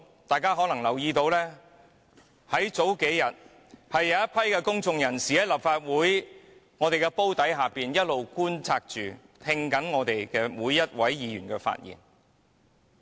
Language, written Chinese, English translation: Cantonese, 大家可能留意到，這數天有一群公眾人士一直在立法會綜合大樓內觀看會議，並聆聽每位議員的發言。, As Members may have noted over the past several days some members of the public have been observing the proceedings of the meeting in the Legislative Council Complex listening to the speech of every Member